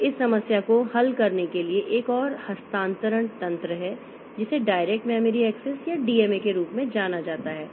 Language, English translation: Hindi, So, to solve this problem there is another transfer mechanism which is known as direct memory access or DMA is used